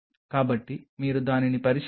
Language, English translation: Telugu, So, if you look at it